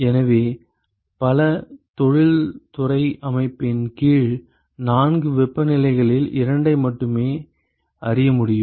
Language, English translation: Tamil, So, it turns out that under many industrial settings only two of the of the ‘four’ temperatures may be known